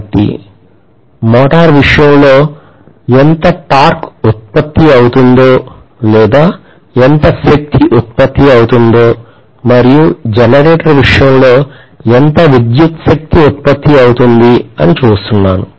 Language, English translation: Telugu, So I am looking at how much torque is produced in the case of a motor or how much power is produced, electrical power is produced in the case of a generator